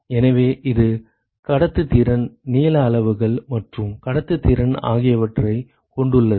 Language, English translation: Tamil, So, it contains conductivity length scales and conductivity